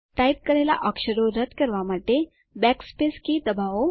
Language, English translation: Gujarati, You press the backspace key to delete typed characters